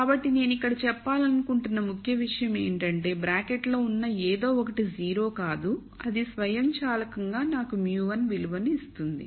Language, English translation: Telugu, So, the key point that I want to make here is if we say whatever is in the bracket is not 0, then that automatically gives me the value for mu 1